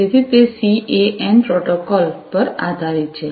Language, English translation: Gujarati, So, this you know it is based on the CAN protocol